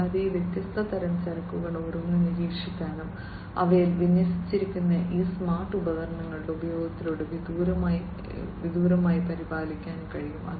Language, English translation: Malayalam, And each of these different types of cargoes can be monitored and can be maintained remotely through the use of these smart equipments that are deployed in them